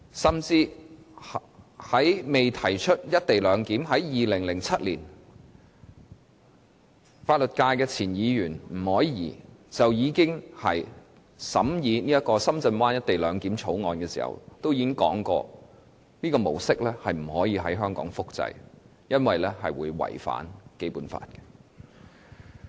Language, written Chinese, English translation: Cantonese, 甚至早在2007年，未提出"一地兩檢"前，代表法律界的前立法會議員吳靄儀在審議《深圳灣口岸港方口岸區條例草案》時，就已經提出這種模式不可以在香港複製，因為這是會違反《基本法》的。, Back in 2007 when the Government has yet to put forward this co - location arrangement and when the Legislative Council was still deliberating on the Shenzhen Bay Port Hong Kong Port Area Bill former Member representing the Legal Functional Constituency Margaret NG warned against the duplication of the Shenzhen Bay Port SBP model in Hong Kong because such an arrangement would run against the Basic Law